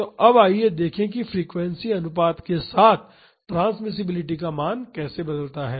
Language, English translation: Hindi, So, now let us look at how the value of the transmissibility varies with frequency ratio